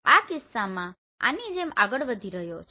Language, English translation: Gujarati, In this case it is moving like this